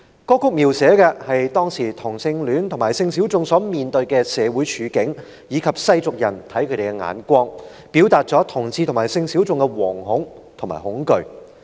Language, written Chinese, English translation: Cantonese, 歌曲描寫當時同性戀和性小眾在社會上所面對的處境及世俗人看他們的目光，表達出同志和性小眾惶恐的心情和內心的恐懼。, The song depicts the social situation of homosexual people and sexual minorities in those days and how they were viewed by the secular world . It portrays the feelings and inner fears of the homosexual people and sexual minorities